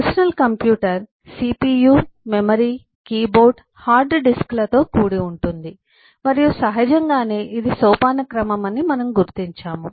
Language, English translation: Telugu, the personal computer is composed of cpu, memory, keyboard, hard disk, and naturally we identify that this is the hierarchy